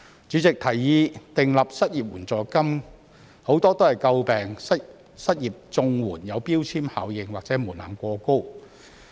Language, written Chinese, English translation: Cantonese, 主席，提議訂立失業援助金者，很多也詬病失業綜援有標籤效應或門檻過高。, President many of those advocating the establishment of an unemployment assistance have criticized that the CSSA for the unemployed carries a labelling effect or its threshold is too high